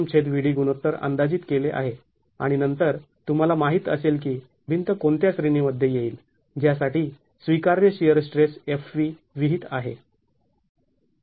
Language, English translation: Marathi, The m by VD ratio is estimated and then you know into which category the wall would fall into for which the allowable shear stress SV is prescribed